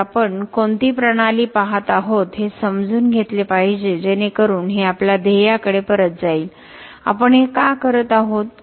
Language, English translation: Marathi, So, we have to understand what system are we looking at so this goes back to our goal, why are we doing this